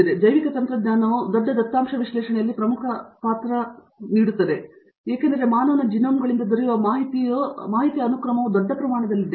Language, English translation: Kannada, So, in which biotechnology place one of the major roles in large data analysis because there is a huge amount of sequence in data available from human genomes